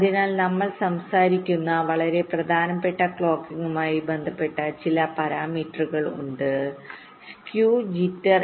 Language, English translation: Malayalam, so there are a few very important clocking related parameters that we shall be talking about, namely skew and jitter